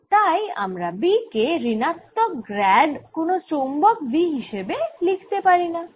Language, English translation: Bengali, that means i also cannot write b as minus grad, some v magnetic